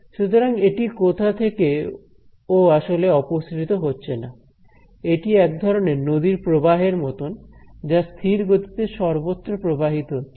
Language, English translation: Bengali, So, it is not really diverging out from anywhere, it is sort of all flowing like a river flowing in a constant speed everywhere it is going a same way